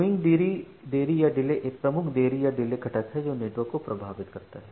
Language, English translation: Hindi, So, the queuing delay is the major delay component which impacts the network